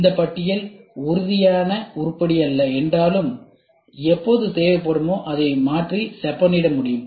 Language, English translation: Tamil, Although this list is not rigid item and can be changed and refined as and when it is necessary